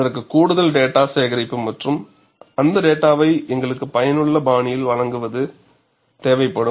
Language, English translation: Tamil, That would require collection of additional data and presentation of data in a useful fashion for us to use